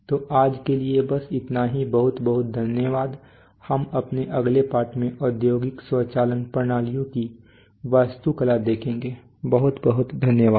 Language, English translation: Hindi, So that is all for today thank you very much in, we will see the architecture of industrial automation systems in our next lesson, thank you very much